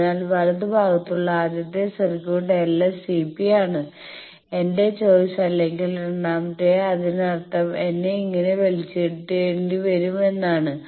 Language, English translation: Malayalam, So, that is why the first circuit in the right part that l S C P is my choice or the second 1 means I will have to be pulled like this